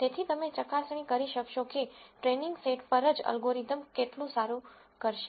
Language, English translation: Gujarati, So, you could verify how well the algorithm will do on the training set itself